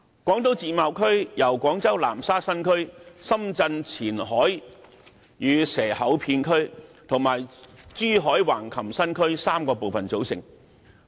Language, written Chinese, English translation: Cantonese, 廣東自貿區由廣州南沙新區、深圳前海與蛇口片區及珠海橫琴新區3個部分組成。, The Guangdong Free Trade Zone comprises three parts namely the Nansha New Area of Guangzhou the Qianhai and Shekou Area of Shenzhen and the Hengqin New Area of Zhuhai